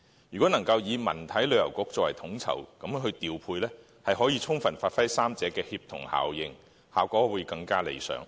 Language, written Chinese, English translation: Cantonese, 如果能成立文體旅遊局作統籌調配，將可充分發揮三者的協同效應，效果會更為理想。, If a Cultural Sports and Tourism Affairs Bureau can be set up to a coordinate and promote the synergy of all three aspects the effect will be even better